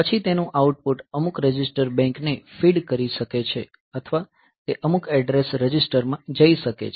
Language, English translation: Gujarati, So, then its output can feed to some register bank or it might go to some address register